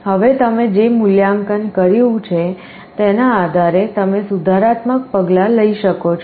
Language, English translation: Gujarati, Now depending on the value you have sensed, you can take a corrective action